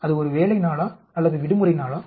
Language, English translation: Tamil, Is it a working day or holiday